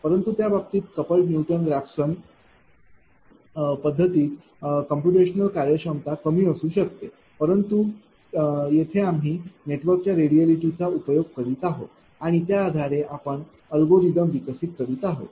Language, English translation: Marathi, But, in that case computation will efficiency may be less in couple Newton Raphson method, but here we are exploiting the radiality of the network and based on that, we are developing the algorithm